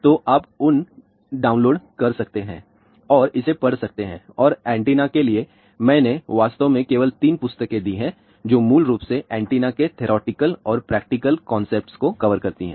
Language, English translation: Hindi, So, you can download those and read it and for antennas, I have actually given only 3 books which cover basically most of the theoretical and practical concepts of the antennas